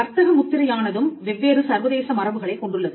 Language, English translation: Tamil, Now, trademark again has different international conventions